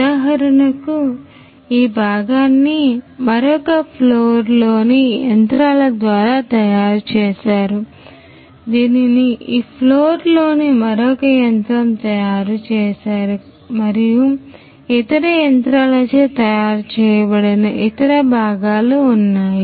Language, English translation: Telugu, So, for example, this part was made by one of the machines in another machine floor this is made by another machine in this particular machine floor and there are other parts that are made by other machines